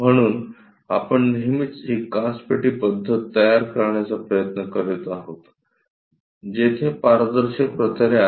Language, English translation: Marathi, So, all the time, we are trying to construct this glass box method, where there are transparent planes